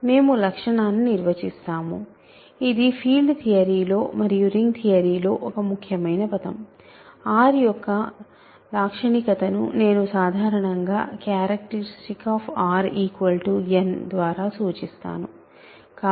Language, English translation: Telugu, So, we define the characteristic so, this is an important word in a ring in field theory, characteristic of R which I denote usually by just char bracket R is n ok